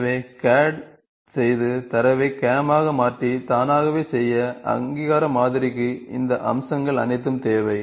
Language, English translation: Tamil, So, doing CAD and transforming the data to CAM and doing it automatically, needs all these feature recognition model